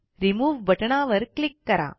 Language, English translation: Marathi, Click on the Remove button